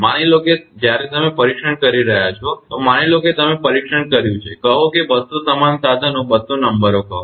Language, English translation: Gujarati, Suppose when you are testing suppose you have tested say 200 same equipment says to say 200 numbers